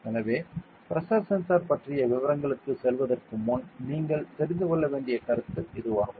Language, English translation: Tamil, So, this is the concept that you need to know before we go into details of a pressure sensor ok